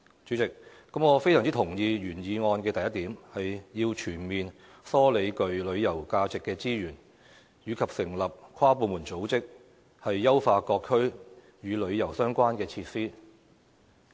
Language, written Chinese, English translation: Cantonese, 主席，我非常同意原議案的第一點，"全面梳理具旅遊價值的資源......成立跨部門組織，以優化各區與旅遊相關的設施"。, President I very much agree to the first point of the original motion that is comprehensively collating resources with tourism values the establishment of an inter - departmental body to enhance the tourism - related facilities in various districts